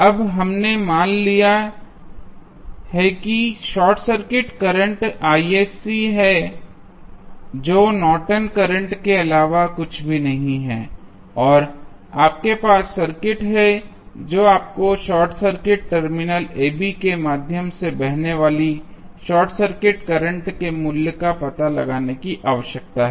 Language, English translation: Hindi, Now, we have assume that there is a short circuit current Isc which is nothing but the Norton's current and you have the circuit you need to find out the value of short circuit current flowing through short circuited terminal AB